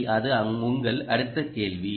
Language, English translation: Tamil, ah, that is your next question